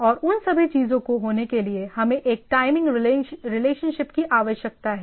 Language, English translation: Hindi, And there is in order to happen all those things, we require a timing relationship right